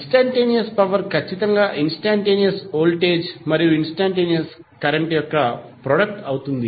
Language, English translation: Telugu, Instantaneous power it will be definitely a product of instantaneous voltage and instantaneous current